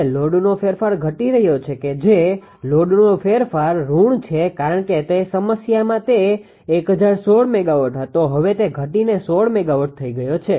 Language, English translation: Gujarati, Now, the load change is decreased that is load change is negative because it was in the problem it was 1016 megawatt now it has decreased to 16 megawatt